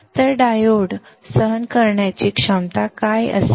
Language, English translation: Marathi, So what should be the diode with standing capability